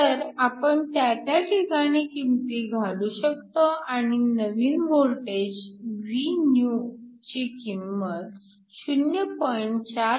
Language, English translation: Marathi, So, we can make the substitutions, so that the new voltage Vnew is equal to 0